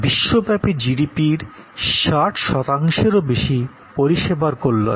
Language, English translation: Bengali, So, services account for more than 60 percent of the GDP worldwide